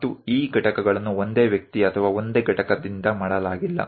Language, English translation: Kannada, And these components were also not made by one single person or one single unit